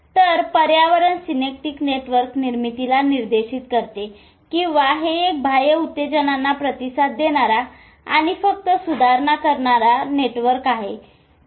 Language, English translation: Marathi, So, environment largely directs synaptic network formation or is it a basic network template with response to external stimuli and just modifies